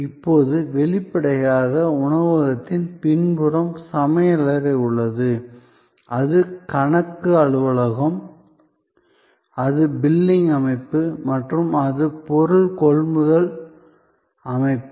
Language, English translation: Tamil, Now; obviously, the restaurant has at the back, the kitchen, it is accounting office, it is billing system and it is material procurement system